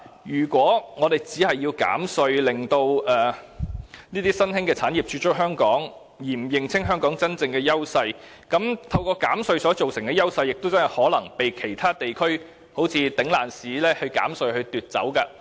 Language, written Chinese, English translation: Cantonese, 如果我們只是希望透過減稅來吸引新興產業駐足香港，卻不認清香港的真正優勢，那麼透過減稅所製造的優勢，將有可能會被其他地方以"頂爛市"的減稅方式取代。, If we intend to encourage new industries to take root in Hong Kong through tax reduction alone and fail to identify the real edges of Hong Kong it is possible that the advantages produced by tax reduction will gradually be eroded when other places followed suit by reducing their taxes as well